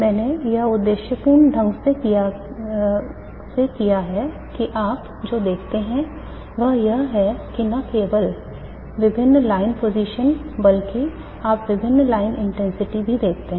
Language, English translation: Hindi, That what you see is that not only different line positions but you also see different line intensities